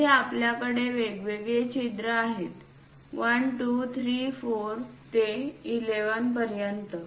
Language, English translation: Marathi, Here we have different holes; 1, 2, 3, 4, perhaps 5, 6 and so on… 11